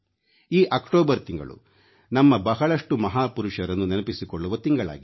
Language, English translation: Kannada, The month of October is a month to remember so many of our titans